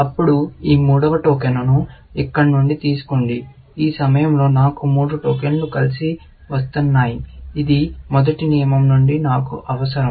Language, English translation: Telugu, Then, take this third token from here, and at this point, I have three tokens coming together, which is what I need from a first rule, essentially